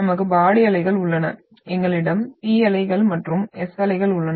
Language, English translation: Tamil, We have body waves and we have where we have P waves and S waves